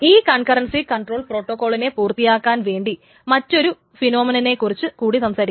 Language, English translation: Malayalam, To finally finish the concurcy control protocol we will talk about one interesting phenomenon which is called a phantom phenomenon